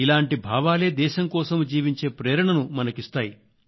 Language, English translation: Telugu, And these are the thoughts that inspire us to live for the country